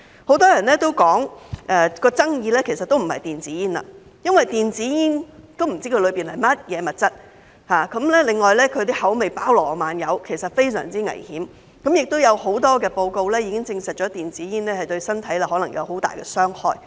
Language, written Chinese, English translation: Cantonese, 很多人都說爭議其實不在於電子煙，由於不知道電子煙包含的物質，而它的口味包羅萬有，所以是非常危險，亦有很多報告已證實電子煙對身體可能有很大傷害。, Many people say that the bone of contention is not e - cigarettes . Since we do not know the ingredients of e - cigarettes and there is a wide range of flavors they are very dangerous . Besides many reports have confirmed that e - cigarettes may cause great harm to health